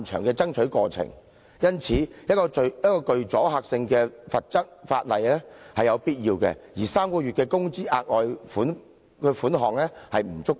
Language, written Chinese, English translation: Cantonese, 因此，制定具阻嚇性的罰則是有必要的，而3個月工資的額外款項並不足夠。, Thus providing for a penalty with a deterrent effect is a must; and a further sum equivalent to three times the average monthly wages of the employee is not enough